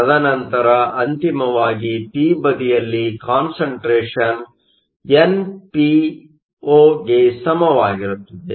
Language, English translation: Kannada, And then finally, in the p side the concentration becomes equal to npo